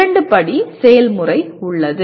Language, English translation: Tamil, There are two step process